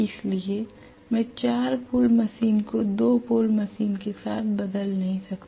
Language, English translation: Hindi, So I cannot interchange a 2 pole machine with 4 pole machine and vice versa I cannot do that